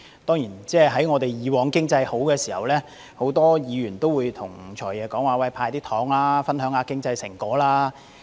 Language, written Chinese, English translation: Cantonese, 當然，以往經濟好的時候，很多議員都要求"財爺""派糖"，分享經濟成果。, Of course when the economy was thriving in the past many Members requested FS to hand out candies to share the fruits of economic success with the community